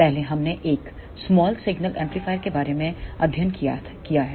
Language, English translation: Hindi, Previously we have studied about a small signal amplifier